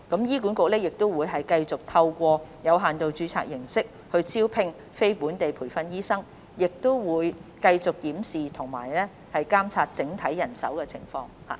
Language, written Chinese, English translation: Cantonese, 醫管局將繼續透過有限度註冊形式招聘非本地培訓醫生，亦會繼續檢視和監察整體人手情況。, HA will continue to recruit non - locally trained doctors by way of limited registration and keep reviewing and monitoring its overall manpower situation